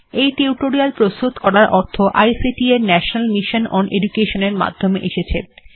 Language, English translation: Bengali, Funding to create this tutorial has come from the National Mission on Education through ICT